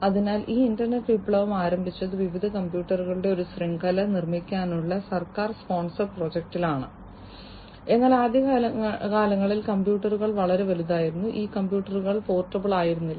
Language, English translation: Malayalam, So, this internet revolution started with a government sponsored project to build a network of different computers, but in the early days the computers used to be very big in size, these computers were not portable